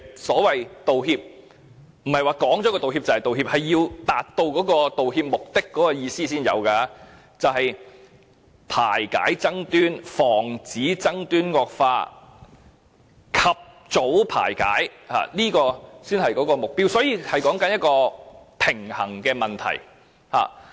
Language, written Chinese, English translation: Cantonese, 所謂"道歉"，不是口講道歉便可以，是要達到道歉目的才有意義，就是要排解爭端，防止爭端惡化，及早排解爭端，這才是目標，所以是一個平衡的問題。, An apology means more than saying sorry . An apology is only meaningful when it is effective when it resolves disputes successfully prevents disputes from escalating and facilitates their early settlement . Hence it is a matter of balance